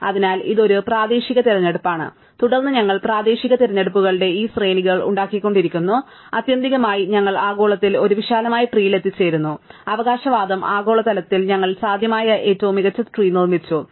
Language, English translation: Malayalam, So, this is a local choice, and then we keep making these sequences of local choices and ultimately, we arrive globally at a spanning tree and out claim is globally we have built the best possible tree, right